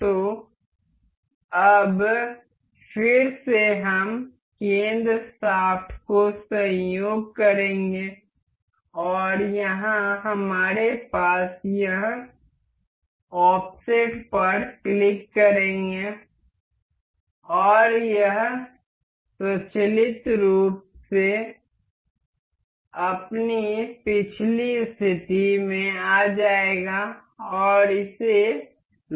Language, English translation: Hindi, So, now, again we will coincide the center shaft and here we have this offset will click and it will automatically restore to its previous position and lock that